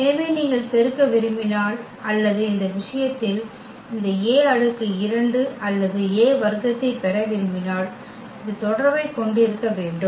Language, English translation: Tamil, So, having this relation then if you want to multiply or we want to get this A power 2 or A square in that case